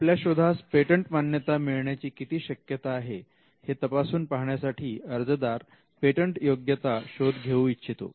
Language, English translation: Marathi, Now, the reason an applicant may want to do a patentability search is to determine the chances of obtaining a patent